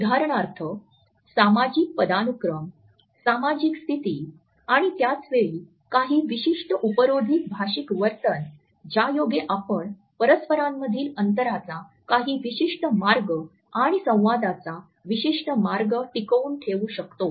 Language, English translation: Marathi, For example, the social hierarchy, and the social status and at the same time certain ironical linguistic behavior which compel that we maintain a certain way of distance and certain way of communication